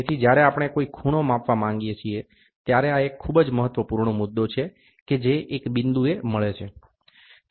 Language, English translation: Gujarati, So, when we want to measure an angle, this is a very very important point which meets at a point